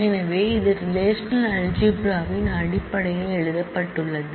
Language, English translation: Tamil, So, there is a 4th operation that one can do with the in relational algebra